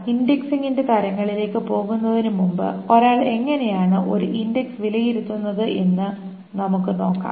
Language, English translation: Malayalam, Before we go into the types of indexing, let us just see that how does one evaluate an index